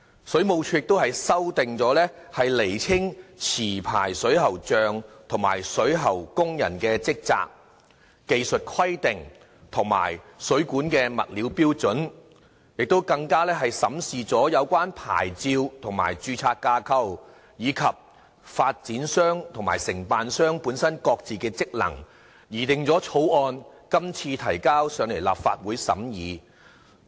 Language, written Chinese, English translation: Cantonese, 水務署亦修例以釐清持牌水喉匠及水喉工人的職責、技術規定及水管物料標準；審視有關牌照及註冊架構，以及發展商和承辦商本身各自的職能，擬定《條例草案》後提交立法會審議。, We also know that the Water Supplies Department WSD has introduced legislative amendments to clearly define the respective duties and responsibilities of licensed plumbers and plumbing workers set out the technical requirements and plumbing material standards review the relevant licensing and registration frameworks and stipulate the respective duties of developers and contractors . The Bill so drafted has been submitted to the Legislative Council for scrutiny